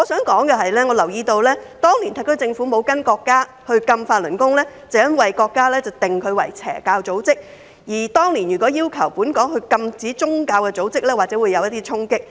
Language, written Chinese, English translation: Cantonese, 我留意到當年特區政府沒有跟隨國家禁止法輪功，因為國家將之定性為"邪教組織"，所以當年禁止宗教組織或許會產生衝擊。, I noticed that the SAR Government had not followed the country to outlaw Falun Gong at that time when it was outlawed by the country as an evil cult . This is probably because outlawing a religious organization might create an impact at that time